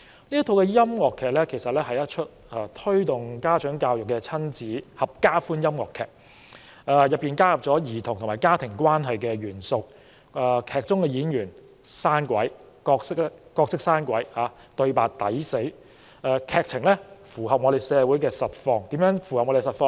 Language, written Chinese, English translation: Cantonese, 那是一齣推動家長教育的親子合家歡音樂劇，其中加入了兒童和家庭關係的元素，劇中的演員演出生動，對白諧趣，劇情正好符合我們社會的實況。, It promotes parent education with elements of children - family relationship . The performance is lively and the conversation funny . The story aptly reflects what is going on in society